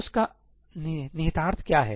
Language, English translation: Hindi, What is going to be the implication of that